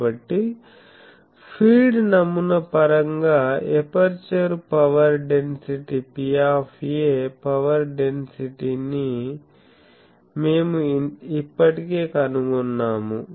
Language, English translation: Telugu, So, we have already found out power density in aperture power density P a in terms of the feed pattern